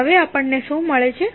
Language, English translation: Gujarati, Now, what we get